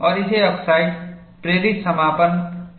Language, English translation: Hindi, And this is called, oxide induced closure